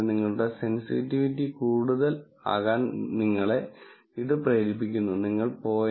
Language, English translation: Malayalam, So, you push your sensitivity to be more and more let us say, you go to 0